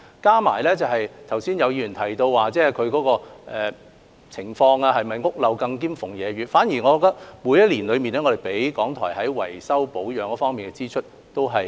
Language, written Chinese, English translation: Cantonese, 再者，剛才有議員提到港台的情況是否屋漏兼逢連夜雨，我反而認為，我們每年均因應港台的需要，提供維修保養方面的支出。, In addition regarding a Members reference just now to When it rains it pours in describing the circumstances surrounding RTHK my view is quite to the contrary . Each year we allocate repair and maintenance expenses on the basis of the needs of RTHK